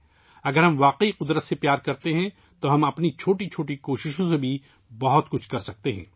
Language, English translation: Urdu, If we really love nature, we can do a lot even with our small efforts